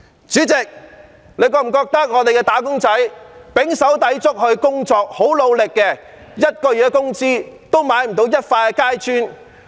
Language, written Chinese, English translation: Cantonese, 主席，大家有否覺得我們的"打工仔"胼手胝足、努力地工作，但每月工資也買不到一塊階磚？, President do Members agree that despite tremendous hard work our wage earners are still unable to afford a tile - size area of a flat with their monthly salary?